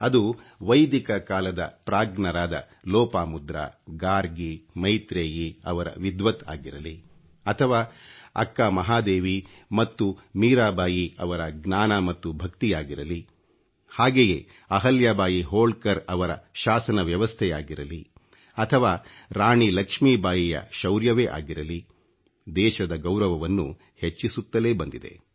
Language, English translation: Kannada, Lopamudra, Gargi, Maitreyee; be it the learning & devotion of Akka Mahadevi or Meerabai, be it the governance of Ahilyabai Holkar or the valour of Rani Lakshmibai, woman power has always inspired us